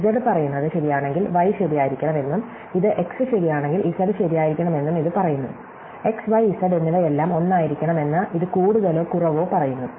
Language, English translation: Malayalam, And this says that if z is true, then y must be true and this says that if x is true, then z must be true, so this more or less says that x, y and z must all be the same